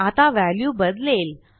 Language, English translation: Marathi, The value wont change